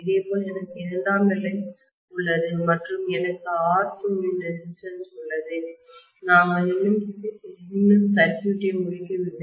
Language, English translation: Tamil, Similarly, I have secondary here and I have a resistance of R2 we have still not completed the circuit